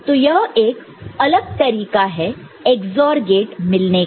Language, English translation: Hindi, So, this is another way just having a XOR gate